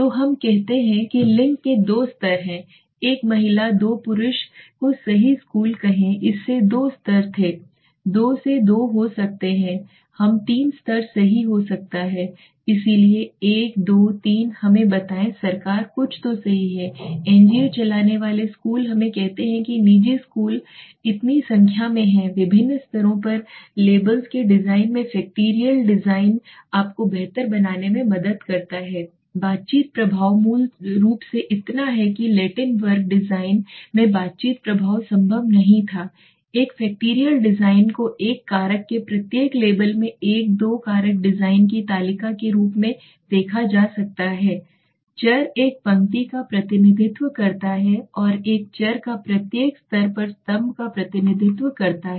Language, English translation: Hindi, So let us say gender had two levels one or two let say one female two male right school so we had two levels it could be 2 by 2 it could be three levels right so one two three let us say government something you okay, NGO run schools let us say that private schools so the number of labels at various levels factorial design helps you in improving exactly allowing you for the interaction effects basically so that interaction effect was not possible in the Latin square design a factorial design may be conceptualized as a table in a two factor design each label of one variable represents a row and each level of one variable represents a column